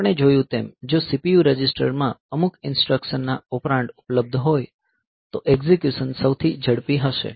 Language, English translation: Gujarati, As we have seen that if the operands of some instruction, they are available in the CPU registers then the execution will be the fastest